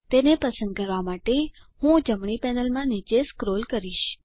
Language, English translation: Gujarati, I will scroll down in the right panel to select it